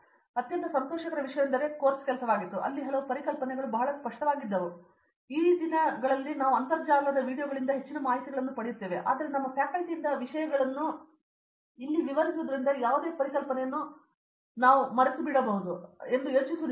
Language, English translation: Kannada, So, one of the most pleasurable thing was the course work, where in so many concepts were made very clear we have plethora of information from the internet videos now a days, but the way things are explained here by our faculty is so absorbing that I don’t think that we would forget it for life, any concept